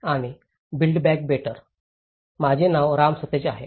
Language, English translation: Marathi, My name is Ram Sateesh